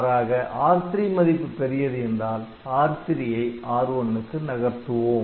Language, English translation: Tamil, So, otherwise this new number R1 is new number R3 is bigger so, we move R3 to R1, ok